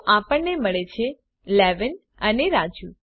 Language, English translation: Gujarati, So, we get 11 and Raju